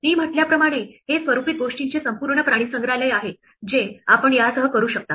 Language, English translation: Marathi, As I said this is a whole zoo of formatting things that you can do with this